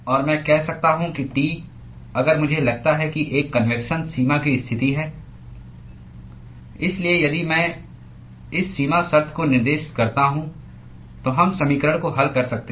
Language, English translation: Hindi, if I assume that there is a convection boundary condition so, if I specify this boundary condition, then we can solve the equation